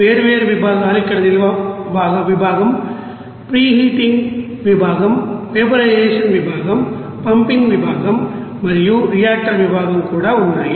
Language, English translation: Telugu, And different sections are here storage section, preheating section, vaporization section, pumping section and also reactor section there